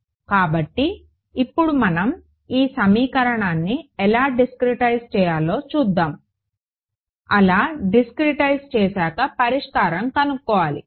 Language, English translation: Telugu, So, now we will look at how to discretize this equation, now that we have got it and solve it ok